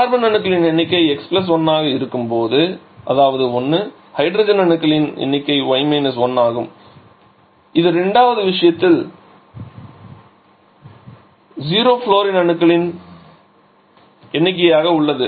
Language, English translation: Tamil, So, number of carbons will be x + 1 that is 1 number of hydrogen is y 1 that remains 0 number of flourine in this case is 2